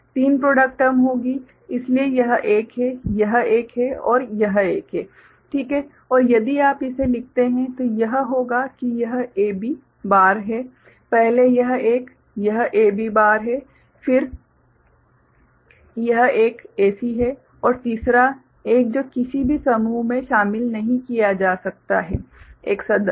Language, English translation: Hindi, Three product terms will be there, so this is one, this is one and this is one, right and if you write it then it will be this one is AB bar, first one is this one is A B bar, then this one is A C and the third one which cannot be included any group one member